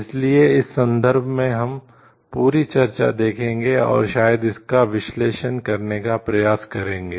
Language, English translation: Hindi, So, in this context we will see the whole discussion and maybe try to analyze it